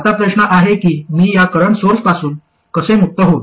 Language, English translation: Marathi, Now the question is how do I get rid of this current source